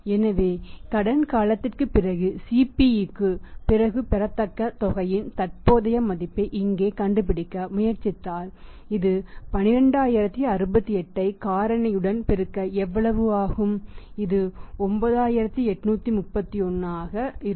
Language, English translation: Tamil, So, if you try to find out here the present value of amount receivable present value of amount receivable after CP after credit period is how much that is going to be for multiply 12068 with the factor, this will work out as 9831